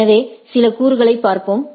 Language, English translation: Tamil, So, let us look at some of the components